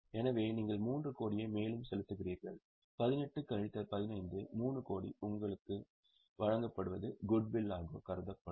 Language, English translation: Tamil, So, you are paying 3 crore more, 18 minus 15, 3 crore more which you have paid will be considered as goodwill